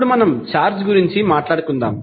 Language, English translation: Telugu, Now, let us talk about the charge